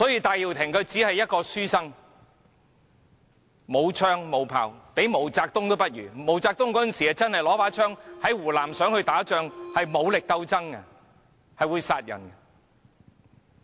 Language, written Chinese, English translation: Cantonese, 戴耀廷只是一名書生，他沒有槍、沒有炮，連毛澤東也不如，那時的毛澤東真的是拿着槍想在湖南打仗，進行武力鬥爭，是會殺人的。, He has no gun no canon . He is not even comparable to MAO Zedong who really did carry a gun thinking about waging a war and putting up a military struggle in Hunan that could cost human lives